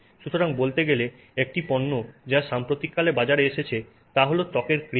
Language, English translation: Bengali, So, one product that has been, that has come to the market in the recent part past is skin cream